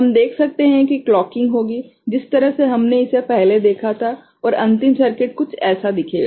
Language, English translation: Hindi, We can see the clocking will take place, the way we had seen it before and the final circuit will be, would look something like this ok